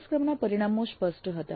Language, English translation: Gujarati, Course outcomes were clear